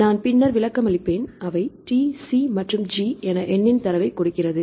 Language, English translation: Tamil, That I will explain little bit later then and they give the data of number of as T C and G